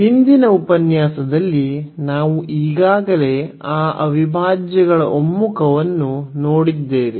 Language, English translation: Kannada, And, in the last lecture we have already seen the convergence of those integrals